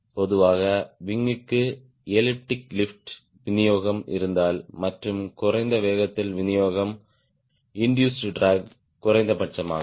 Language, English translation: Tamil, and typically if the wing has elliptic lift distribution and at a lower speed distribution, then induced drag is minimum